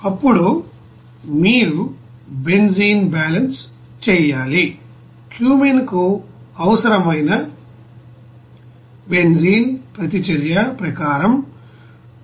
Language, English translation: Telugu, Then you have to do the benzene balance, benzene required for the cumene as per reaction it is 173